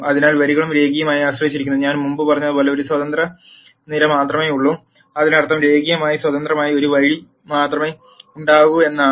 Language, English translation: Malayalam, So, the rows are also linearly dependent and, and as I said before, there is only one independent column and that necessarily means that there will be only one linearly independent row